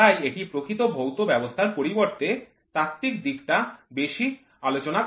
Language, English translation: Bengali, So, it is studied rather than the actual physical system